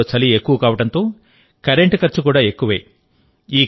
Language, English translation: Telugu, On account of winters in Kashmir, the cost of electricity is high